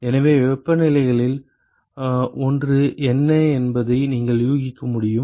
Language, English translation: Tamil, So, you could guess what is one of the temperatures